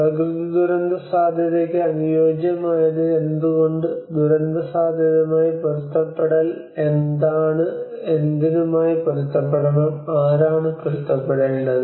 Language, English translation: Malayalam, So they talk about why adaptation is needed for natural disaster risk, what is adaptation to disaster risk, and adapt to what, who has to adapt